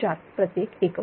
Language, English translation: Marathi, 004 per unit